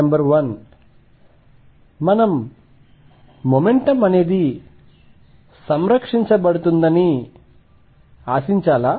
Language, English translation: Telugu, Number 1, should we expect that momentum is conserved